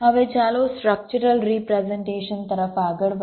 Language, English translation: Gujarati, ok, fine, now let us move to the structural representation